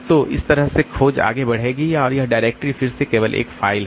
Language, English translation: Hindi, So, that way the search will proceed and this directory is again a file only